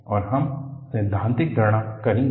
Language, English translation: Hindi, And, we would do theoretical calculation